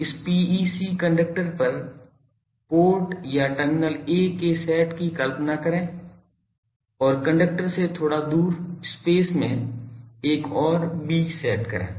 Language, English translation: Hindi, Visualize the set of port or terminals a on the this PEC conductor and another set in b in space a bit away from the conductor